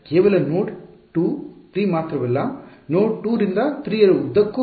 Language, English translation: Kannada, Not just node 2 3 along 2 to 3